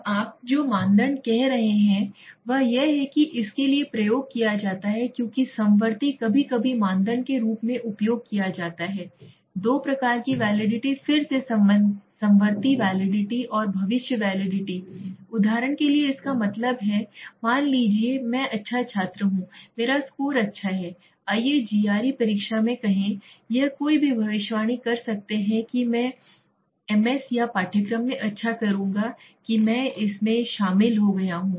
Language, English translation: Hindi, Now criterion you are saying is this is used for this is used as concurrent sometimes say criterion validity of two types again concurrent validity and predictive validity, that means for example suppose I am good student I have the good score right, let s say in GRE exam, it is somebody can predict that I will do well in the MS or the course that I have joined it right